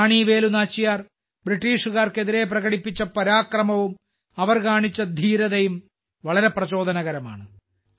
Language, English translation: Malayalam, The bravery with which Rani Velu Nachiyar fought against the British and the valour she displayed is very inspiring